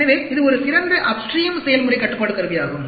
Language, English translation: Tamil, So, it is an excellent upstream process control tool